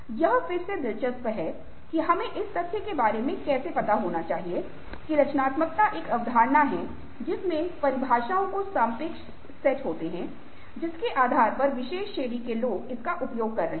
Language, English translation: Hindi, so this again is interesting: that how we need to aware of the fact that creativity is a concept with relative set of definitions, depending on which particular category of people are using it, still difficult to define